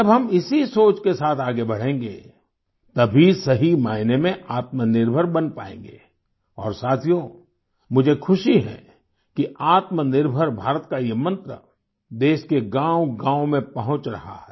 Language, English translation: Hindi, When we move forward with this thought, only then will we become selfreliant in the truest sense… and friends, I am happy that this mantra of selfreliant India is reaching the villages of the country